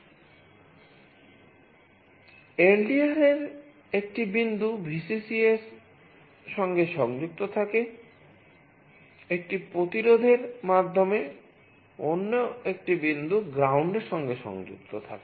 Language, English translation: Bengali, One point of the LDR is connected to Vcc, another point through a resistance is connected to ground